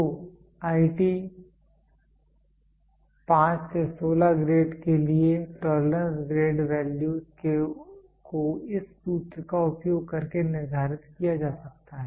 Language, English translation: Hindi, So, the tolerance grade values to grades IT 5 to 16 can be determined by using this formula